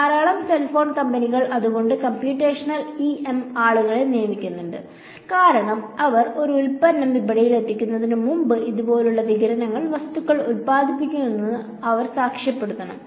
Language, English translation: Malayalam, Lot of cell phone companies that is why employ computational EM people; because before they put a product in the market, they have to certify this produces so much radiation things like that